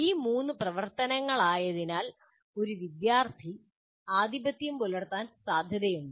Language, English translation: Malayalam, Because these are the three activities a student will get is is likely to be dominantly getting involved